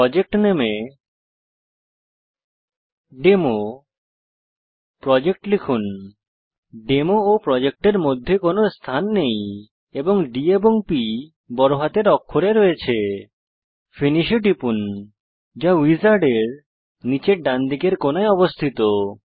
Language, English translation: Bengali, In the project name ,Type DemoProject (please note that their is no space between Demo and Project D P are in capital letters) Click Finish at the bottom right corner of the wizards